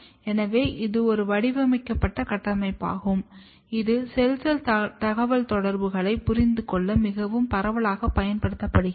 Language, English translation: Tamil, So, this is an engineered construct which is being very widely used to understand the cell cell communication